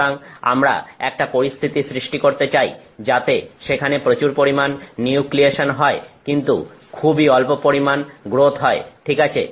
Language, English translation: Bengali, So, we want to create a situation here whether there is very large amount of nucleation ah, but very extremely tiny amount of growth